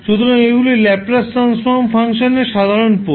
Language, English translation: Bengali, So, these are the simple poles of the Laplace Transform function